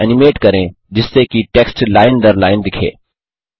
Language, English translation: Hindi, Animate the text so that the text appears line by line